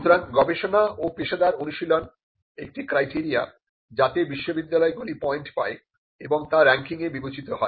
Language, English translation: Bengali, So, Research and Professional Practices is one of the criteria for which universities get points and which is considered into ranking